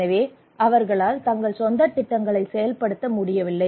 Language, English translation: Tamil, So they cannot carry out their own projects